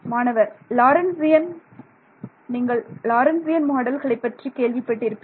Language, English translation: Tamil, Lorentzian You have heard of Lorentzian models, you heard of Debye models